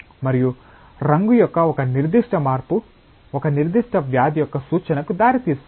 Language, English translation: Telugu, And a particular change of colour can give rise to the indication of a particular disease